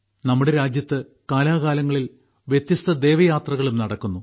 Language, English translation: Malayalam, In our country, from time to time, different Devyatras also take place